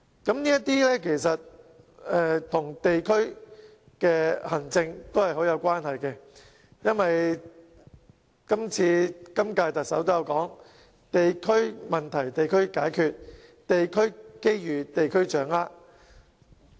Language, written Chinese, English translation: Cantonese, 其實，這些工作與地區行政有莫大關係，正如今屆特首也指出，"地區問題地區解決，地區機遇地區掌握"。, In fact all this is closely linked with district administration . As pointed out by this Chief Executive the principle is to address district issues at the local level and capitalize on local opportunities